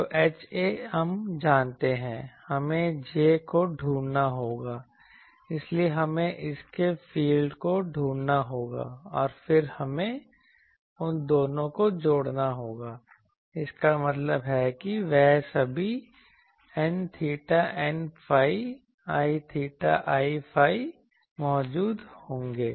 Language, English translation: Hindi, So, H a we know, we will have to find J so, we will have to find the fields due to this and then we will have to sum both of them, that means, all those n theta n phi l theta l phi will be present that is the only thing